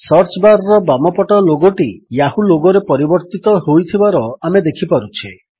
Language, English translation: Odia, We observe that the logo on the left of the search bar has now changed to the Yahoo logo